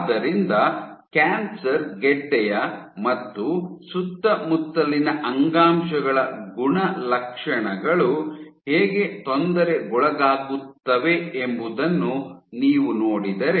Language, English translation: Kannada, So, now if you look at how the properties of the tissue in and around the tumor get perturbed